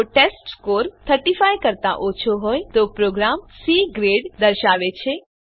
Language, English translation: Gujarati, If the testScore is less than 35, then the program displays C Grade